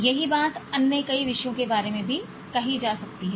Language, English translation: Hindi, The same thing can be said about so many other subjects